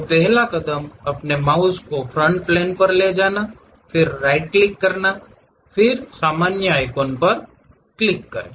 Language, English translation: Hindi, So, first step is move your mouse onto Front Plane, then give a right click then click this normal thing